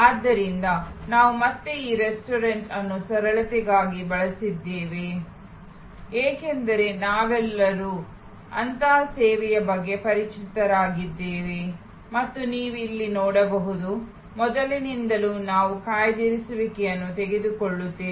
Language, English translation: Kannada, So, we have again use this restaurant for simplicity, because we have all familiar with such a service and you can see here, that right from the beginning where we take reservation